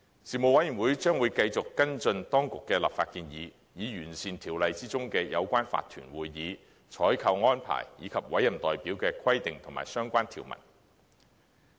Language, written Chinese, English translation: Cantonese, 事務委員會將會繼續跟進當局的立法建議，以完善條例中有關法團會議、採購安排，以及委任代表的規定及相關條文。, The Panel will continue to follow up on the Governments legislative proposals with a view to enhancing the requirements and relevant provisions on owners corporation meetings procurement arrangements and appointed proxy